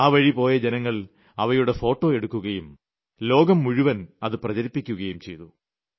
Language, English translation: Malayalam, And passersby kept taking pictures of these, and these pictures soon were being shared all over the world